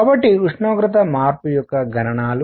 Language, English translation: Telugu, So, the calculations of temperature change